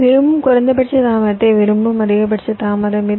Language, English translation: Tamil, that is the maximum delay, i want the minimum delay i want